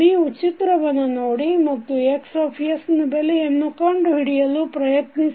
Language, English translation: Kannada, So, if you see this figure and try to find out the value of Xs